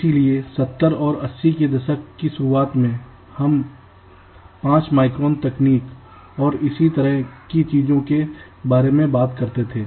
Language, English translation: Hindi, ok, so in the beginning, in the seventies and eighties, we used to talk about five micron technology and things like that